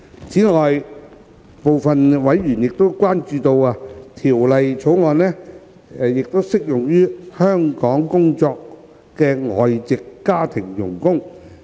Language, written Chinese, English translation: Cantonese, 此外，部分委員關注到，《條例草案》亦適用於在港工作的外籍家庭傭工。, In addition some members were concerned about the applicability of the Bill to foreign domestic helpers FDHs working in Hong Kong